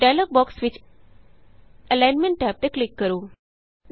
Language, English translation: Punjabi, Click on the Alignment tab in the dialog box